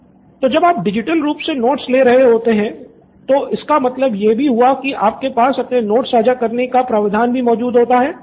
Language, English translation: Hindi, So when you are taking down notes digitally, that would also mean that you have a provision to share your notes